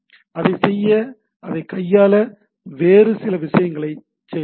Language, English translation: Tamil, In order to do that, we need to do some other things to handle that